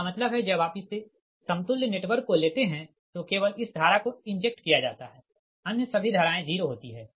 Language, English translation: Hindi, that means when you take this equivalent network, right, only this current being injected